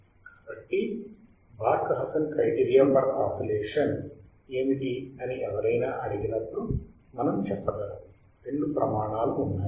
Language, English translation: Telugu, So, whenever somebody asks what are the Barkhausen criterion for oscillations, we can say that there are two criterias